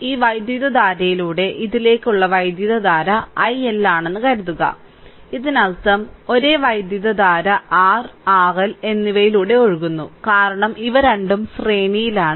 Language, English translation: Malayalam, Suppose, current through this current to this is i L right; that means, same current is flowing through R and R L because both are in series